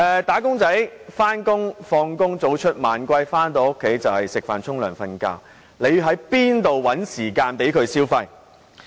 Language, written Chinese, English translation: Cantonese, "打工仔"上班然後下班，早出晚歸，回家後只是吃飯、洗澡、睡覺，又怎會有時間消費？, The wage earners go to work early and come home late . When they are home they can only eat wash and sleep . How can they have any time to spend money?